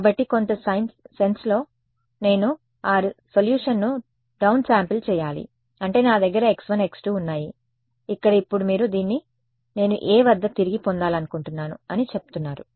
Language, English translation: Telugu, So, in some sense I have to down sample that solution I mean I have let us say x 1 x 2 here, now you are saying I want to retrieve this at a